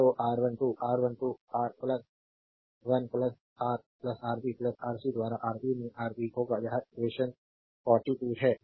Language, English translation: Hindi, Therefore, R 1 2 will be R 1 plus R 3 will be Rb into Ra plus Rc by Ra plus Rb plus Rc this is equation 42